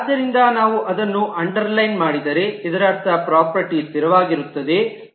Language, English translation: Kannada, So if we underline that, that also means that the property is static